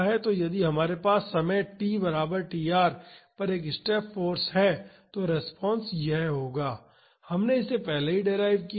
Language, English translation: Hindi, So, if we have a step force at time is equal to tr the response will be this we just derived it earlier